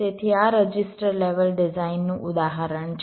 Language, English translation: Gujarati, ok, so this is an example of a register level design